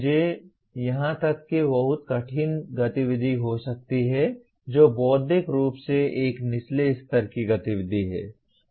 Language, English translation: Hindi, I can have very difficult activity even here; which is intellectually is a lower level activity